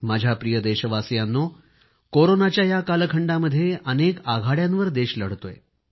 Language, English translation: Marathi, My dear countrymen, during this time period of Corona, the country is fighting on many fronts simultaneously